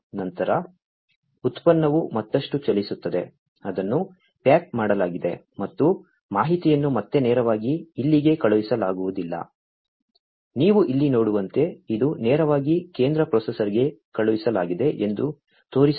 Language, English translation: Kannada, Then the product moves on further, it is packaged and that information again is sent directly not over here, as you can see over here, this is showing that it is sent directly to the central processor